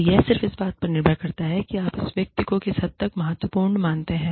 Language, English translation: Hindi, So, it just depends on the extent to which, you consider this person, important